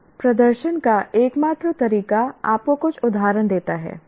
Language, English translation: Hindi, Now the only way to demonstrate is by giving you some examples